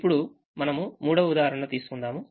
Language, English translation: Telugu, now we take a third example now